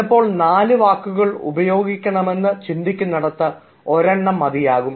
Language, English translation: Malayalam, sometimes you will feel that instead of four words, you can use even one